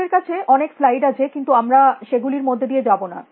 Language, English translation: Bengali, We have dense slides that I have put in; we are not going to go through this slide